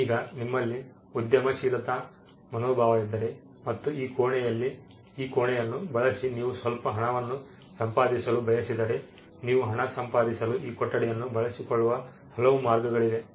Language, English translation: Kannada, Now if there is an entrepreneurial spirit in you and you want to make some money with this room, there are multiple ways in which you can use this room to make money